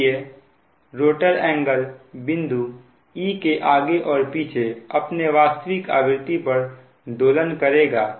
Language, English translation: Hindi, so rotor angle will then oscillate back and forth around e at its natural frequency